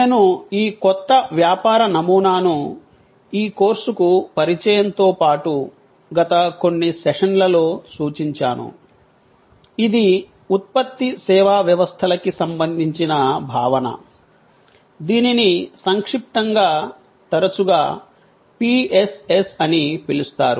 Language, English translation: Telugu, I have referred to this new business model in my introduction to this course as well as over the last few sessions, which is the concept of Product Service Systems, in short often known as PSS